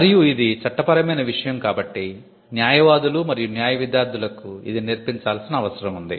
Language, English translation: Telugu, And being a legal subject, it is something that is taught to lawyers and law students